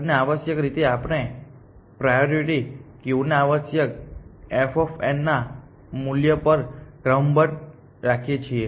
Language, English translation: Gujarati, And essentially we keep the priority queue sorted on this value of f of n essentially